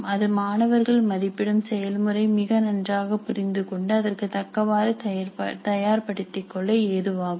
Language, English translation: Tamil, So that would help the student also to understand the process of assessment more clearly and prepare accordingly